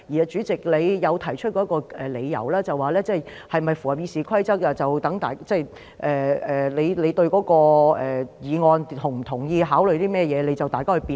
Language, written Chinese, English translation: Cantonese, 主席，你曾提出的一個理由就是，是否符合《議事規則》，取決於大家對議案是否同意、考慮甚麼，於是讓議員辯論。, President one argument you have put forward is that compliance with RoP depends on Members agreement to the motion and their considerations so you let Members debate it